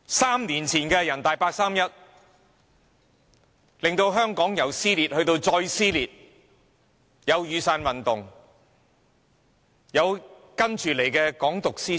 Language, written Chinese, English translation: Cantonese, 三年前的人大八三一決定，令香港社會從撕裂走向更撕裂，隨之而來的是雨傘運動及"港獨"思潮。, The 31 August Decision made by the National Peoples Congress NPC three years ago has further torn Hong Kong society apart followed by the Umbrella Movement and the ideology of Hong Kong independence